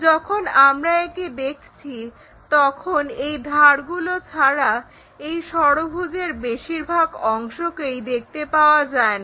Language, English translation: Bengali, When we are looking at this most of this hexagon is invisible other than the edges